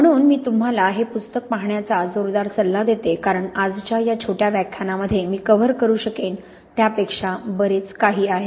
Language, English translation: Marathi, So I really strongly advise you to look in this book because it is much, much more there than I can possibly cover in these short lectures today